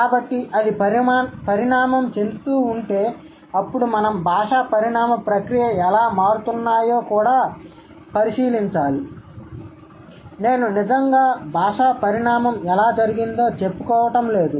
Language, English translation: Telugu, So, if it keeps evolving then we also have to have a look at the process of language evolution or how language is changing